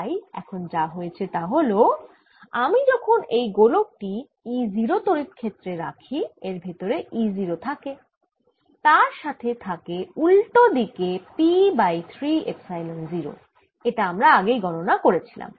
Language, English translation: Bengali, so what has happened now is that when i put this sphere in this field e, there is this e zero inside and there is a field backwards which is p over three epsilon zero